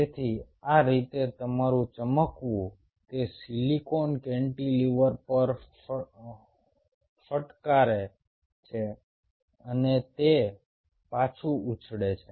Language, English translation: Gujarati, so this is how your shining: it hits on that silicon cantilever and it bounces back